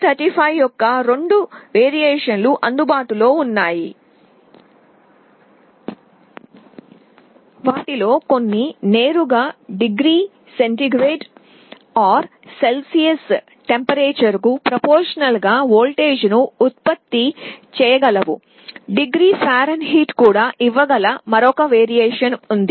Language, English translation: Telugu, There are two versions of LM35 available, some of them can directly generate a voltage proportional to the temperature in degree centigrade or Celsius, there is another version that can also give in degree Fahrenheit